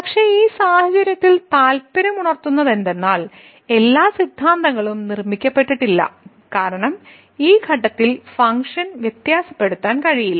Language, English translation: Malayalam, But, what is interesting in this case the all the hypothesis are not made because the function is not differentiable at this point